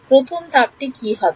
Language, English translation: Bengali, What is step 1